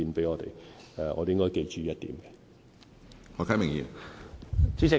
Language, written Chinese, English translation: Cantonese, 我們應該記住這一點。, We should bear this in mind